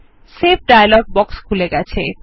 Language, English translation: Bengali, The Save dialog box will open